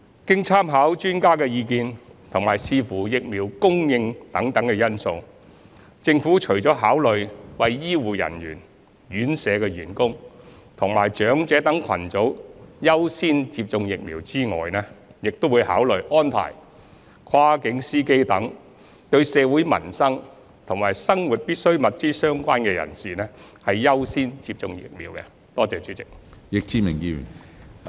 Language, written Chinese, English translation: Cantonese, 經參考專家的意見及視乎疫苗供應等因素，政府除了考慮為醫護人員、院舍員工及長者等群組優先接種疫苗外，亦會考慮安排跨境司機等對社會民生及生活必需物資相關人士，優先接種疫苗。, Having regard to various factors including the views of experts the supply of vaccines etc the Government will consider according priority to the target groups of healthcare workers staff of residential care homes and the elderly etc . as well as related persons for peoples livelihood and daily necessities such as cross - boundary drivers